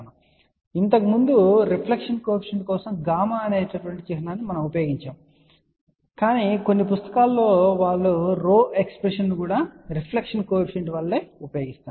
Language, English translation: Telugu, And I just want to mention here earlier we had used the symbol gamma for reflection coefficient, but in some books they use the expression for rho as a reflection coefficient